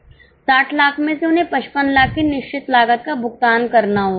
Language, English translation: Hindi, From 60 lakhs they have to pay fixed cost of 55 lakhs